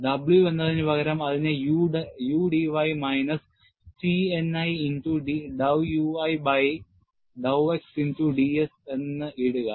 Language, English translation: Malayalam, Instead of W, put it as U d y minus T n i multiplied by dow u i by dow x into d s